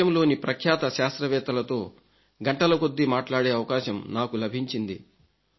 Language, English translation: Telugu, I had the opportunity to interact for hours with the distinguished scientists of the country